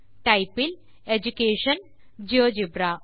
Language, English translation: Tamil, Under Type, Education and Geogebra